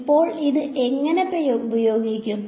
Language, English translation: Malayalam, Now, how will be use it